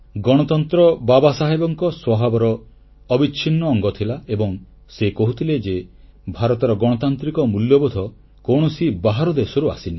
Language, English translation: Odia, Democracy was embedded deep in Baba Saheb's nature and he used to say that India's democratic values have not been imported from outside